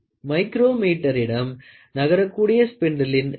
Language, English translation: Tamil, The micrometer has a non stationary spindle of a least count of 0